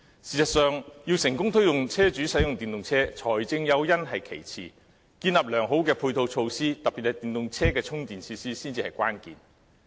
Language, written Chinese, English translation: Cantonese, 事實上，要成功推動車主使用電動車，財政誘因是其次，建立良好的配套措施，特別是電動車的充電設施才是關鍵。, In fact in order to be successful in promoting the use of EVs by vehicle owners financial incentive is not the main factor . The key factor is the provision of good supporting facilities especially charging facilities for EVs